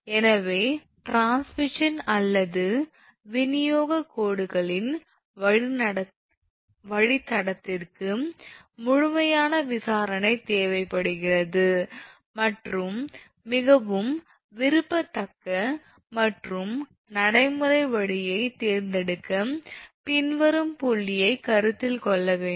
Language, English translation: Tamil, So, the routing of a transmission or distribution lines requires thorough investigation and for selecting the most desirable and practical route following point should be considered